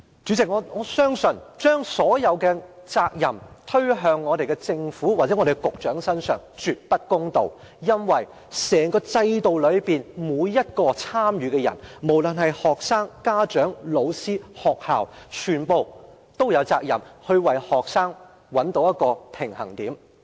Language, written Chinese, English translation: Cantonese, 主席，我相信將所有責任推到政府或局長身上是絕對不公道的，因為在整個制度中，每一位參與者，不論是學生、家長、老師抑或學校，全都有責任為學生找到一個平衡點。, President I trust that it is definitely unfair to shift all the responsibilities onto the Government or the Secretary because all who are involved in the system students parents teachers or school authorities alike should be responsible for striking a balance for students